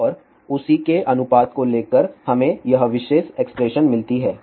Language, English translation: Hindi, And by taking the ratio of that we get this particular expression